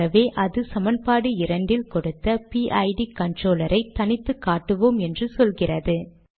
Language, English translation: Tamil, So it says we will now discretize the PID controller given in equation 2